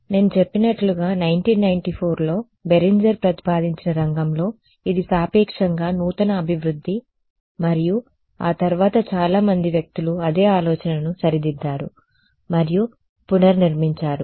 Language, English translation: Telugu, So, as I mentioned this is a relatively new development in the field proposed by Berenger in 1994 and subsequently many people have reinterpreted and reformulated the same idea ok